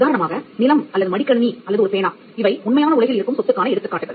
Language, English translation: Tamil, For example, land or a laptop or a pen, these are instances of property that exist in the real world